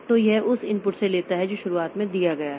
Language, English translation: Hindi, So, it takes from the input that is given at the beginning